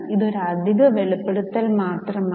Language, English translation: Malayalam, This is just an extra disclosure